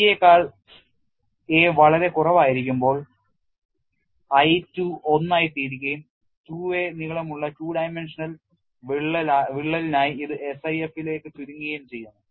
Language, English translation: Malayalam, They have also looked at when a is much less than c I 2 becomes 1 and it reduces to the SIF for a two dimensional crack of length 2 a